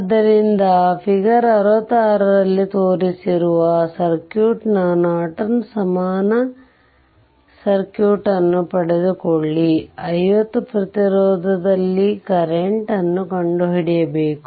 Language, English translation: Kannada, So, obtain the Norton equivalent circuit of the ah of the circuit shown in figure your 66 right, we have to find out ah to determine the current in the 50 ohm resistance right